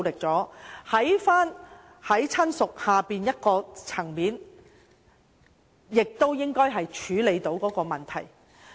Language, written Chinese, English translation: Cantonese, 在"親屬"以下的層面，應已能處理這個問題。, This issue can already be dealt with below the relative level